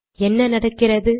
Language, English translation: Tamil, Why does it happen